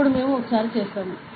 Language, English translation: Telugu, Now, we will do that once